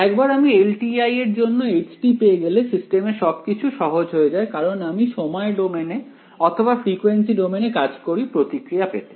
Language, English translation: Bengali, Once I find out h t for a for a LTI system life becomes very easy because I either do the time domain version or the frequency domain version to get the response right